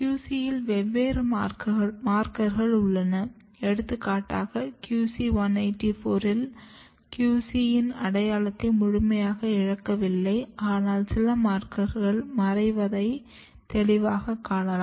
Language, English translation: Tamil, And if you check the markers, different markers of the QC, for example, QC 184, you can clearly see that though QC identity is not completely lost here, there might be maybe some of the markers are disappearing